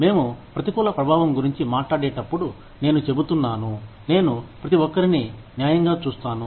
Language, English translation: Telugu, When we talk about adverse impact, we are saying, i will treat everybody fairly